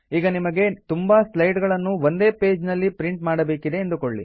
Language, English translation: Kannada, Lets say you want to have a number of slides in the same page of the printout